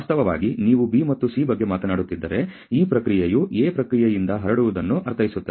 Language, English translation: Kannada, In fact, B and C, if you are talking about the process mean in the spread out of the process A